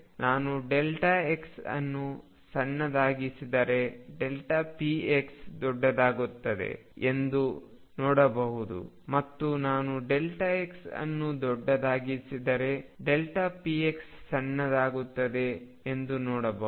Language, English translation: Kannada, You can see if I make delta x smaller and smaller delta p as becomes larger, and larger if I make delta x larger and larger delta p x becomes smaller and smaller smaller